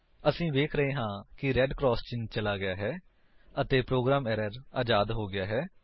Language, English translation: Punjabi, We see that the red cross mark is gone and the program is error free